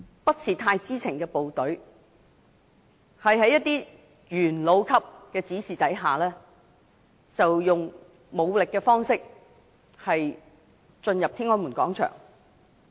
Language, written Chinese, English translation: Cantonese, 不太知情的部隊，在一些元老級人士的指示下，以武力方式進入天安門廣場。, Members of the troops who did not know much about the situation were instructed by some veterans of the Communist Party of China CPC to enter Tiananmen Square violently